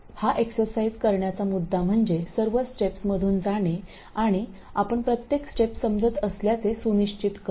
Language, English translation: Marathi, The point of doing this exercise is to go through all the logical steps and make sure that you understand every step